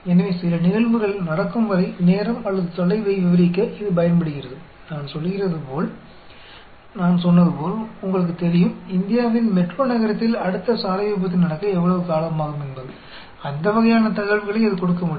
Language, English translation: Tamil, So, it is used to describe the time or distance until some events happen; like I say, as I said, you know, how long it will take for the next road accident to happen in the metro city of India; that sort of information it can give